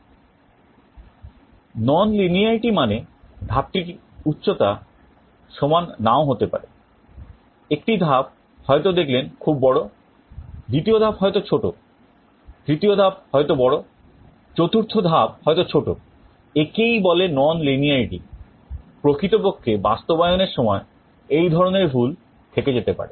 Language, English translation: Bengali, Nonlinearity means the step height may not all be equal, for one step you may see that it is going big, second step may be small, third step may be big, fourth step may be small, this is called nonlinearity